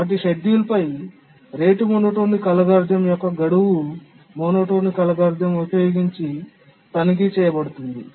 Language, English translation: Telugu, Now we need to check for their schedulability using the rate monotonic algorithm and the deadline monotonic algorithm